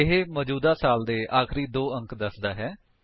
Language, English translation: Punjabi, It gives the last two digit of the current year